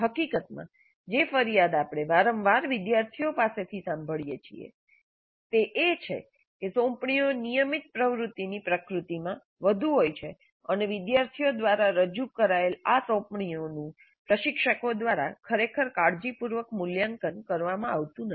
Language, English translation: Gujarati, In fact, a complaint that we often hear from students is that the assignments are more in the nature of a routine activity and these assignments submitted by the students are not really evaluated carefully by the instructors